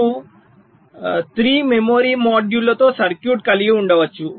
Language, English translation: Telugu, so you can have a circuit with three memory modules